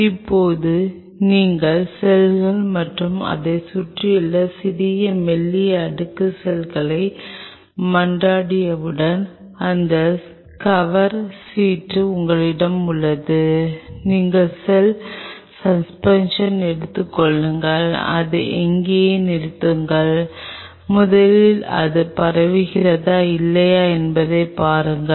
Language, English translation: Tamil, Now, once you plead the cells you have small thin layer of medium in and around the cells you have this cover slip you take the cell suspension just stop it there with it first of all look at it whether it spreads or not first catch